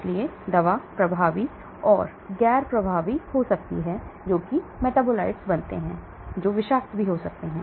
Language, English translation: Hindi, so the drug may be more potent or less potent you may be forming metabolites, which may be toxic